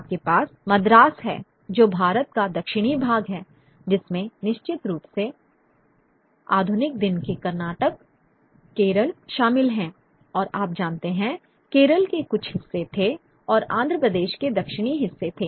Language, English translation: Hindi, You have Madras which is the southern part of India, which would of course include the modern day Kanata, Keral, and parts of Kerala and southern parts of Andhra Pradesh leaving aside Hyderabad, which was a princely state